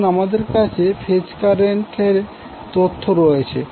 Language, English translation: Bengali, So now you have the phase current information